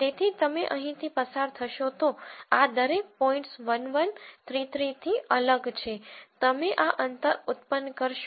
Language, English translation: Gujarati, So, you will go through here each of these points are different from 1 1, 3 3 you will generate these distances